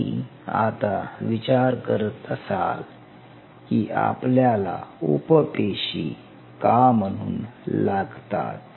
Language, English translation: Marathi, Now, you might wonder why we needed to use the satellite cells